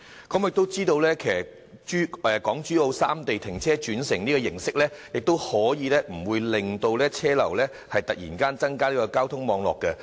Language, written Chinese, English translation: Cantonese, 我們知道港珠澳三地泊車轉乘安排，可以令車流不會忽然增加交通網絡的負荷。, We know that providing park - and - ride arrangements in Hong Kong Zhuhai and Macao can prevent a sudden increase in traffic load in the transport network